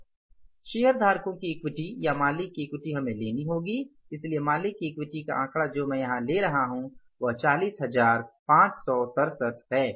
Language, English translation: Hindi, We have taken the equity and the equity amount we worked out here is, owners equity we worked out here is 40,567